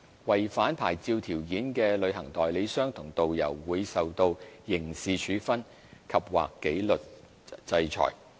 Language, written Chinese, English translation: Cantonese, 違反牌照條件的旅行代理商和導遊，會受到刑事處分及/或紀律制裁。, Any travel agent or tourist guide that breaches a licence condition will be subject to criminal penalties andor disciplinary orders